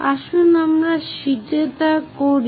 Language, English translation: Bengali, Let us do that on the sheet